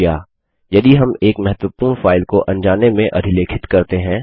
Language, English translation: Hindi, Now what if we inadvertently overwrite an important file